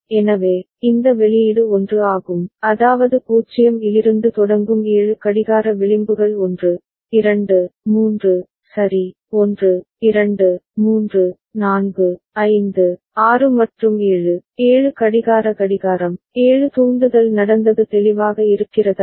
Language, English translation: Tamil, So, this one this output is 1, that means, 7 clock edges starting from 0 has taken place 1, 2, 3, ok, 1, 2, 3, 4, 5, 6 and 7, 7 clock clocking, 7 triggering has happened Is it clear